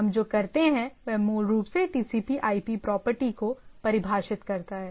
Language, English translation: Hindi, What we do we basically this define the TCPIP property, right